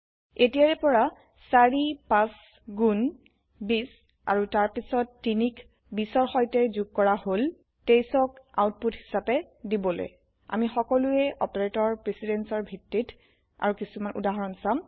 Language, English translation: Assamese, Hence four fives are twenty and then three is added to 20 to give the output as 23 Lets us see some more examples based on operator precedence